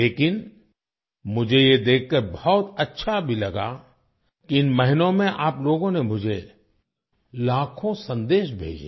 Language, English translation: Hindi, But I was also very glad to see that in all these months, you sent me lakhs of messages